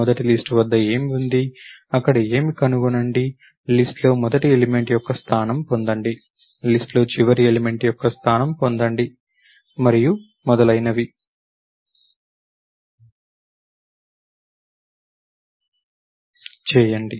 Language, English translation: Telugu, Find out what is there at the first of the list, what is there, get the position of the first element in the list, get the position of the last element in the list and so on